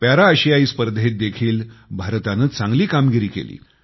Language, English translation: Marathi, India also performed very well in the Para Asian Games too